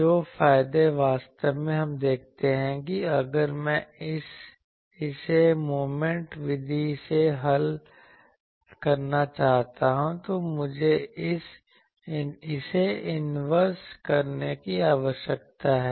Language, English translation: Hindi, The advantages that actually the will finally, see if I want to solve it by Moment method, then I need to inverse actually this one to find this I need to inverse something